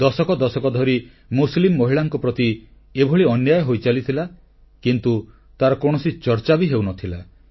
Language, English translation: Odia, For decades, injustice was being rendered to Muslim women but there was no discussion on it